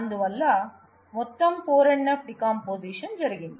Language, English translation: Telugu, So, you have a total 4 NF decomposition happening